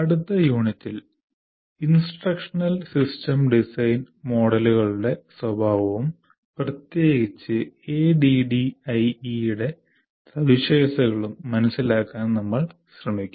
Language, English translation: Malayalam, And in the next module, the next unit, we will try to understand the nature of instructional system design models and particularly features of adding